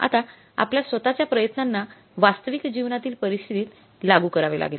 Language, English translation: Marathi, Now you have to apply your own efforts in the real life scenario